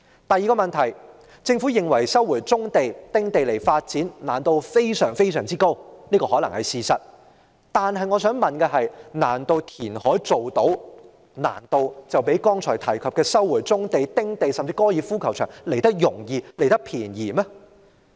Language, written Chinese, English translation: Cantonese, 第二個問題，政府認為收回棕地、丁地發展，難度非常之高，這可能是事實，但我想問的是，難道填海較剛才提及的收回棕地、丁地，甚至高爾夫球場來得容易、來得便宜嗎？, Second the Government considers the resumption of brownfield sites and small house sites extremely difficult . Though this may be the case I cannot but ask Will the reclamation project be easier and less expensive than the resumption of brownfield sites small house sites and the golf course site?